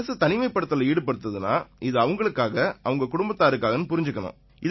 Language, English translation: Tamil, Everyone should know that government quarantine is for their sake; for their families